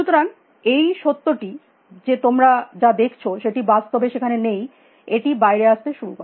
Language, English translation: Bengali, So, the fact it what you see is not necessarily what is out there had already started coming out